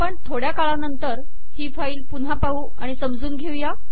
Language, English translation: Marathi, We will come back to this file shortly and explain it